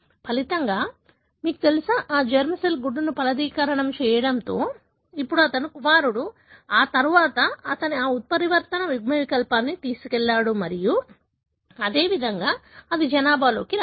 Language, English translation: Telugu, As a result, you know, that so happened that that germ cell happen to fertilize the egg, who is now his son and then, he carried that mutant allele and likewise, it could have come in the population